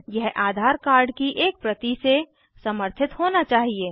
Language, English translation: Hindi, It should be supported by a copy of the AADHAAR card